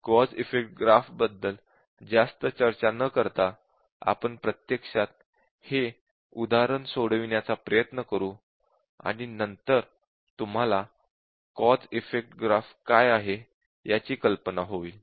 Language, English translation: Marathi, It is very simple without really discussing much about cause effect graph, we can actually try to solve this example, and then you would be aware about what is cause effect graph